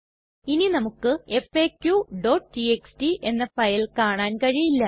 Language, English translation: Malayalam, We can no longer see the file faq.txt